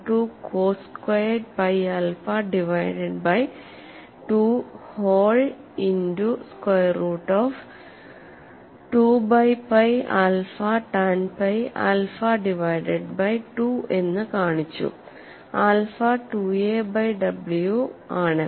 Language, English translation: Malayalam, 122 cos squared pi alpha divided by 2 whole multiplied by square root of 2 by pi alpha tan pi alpha divided by 2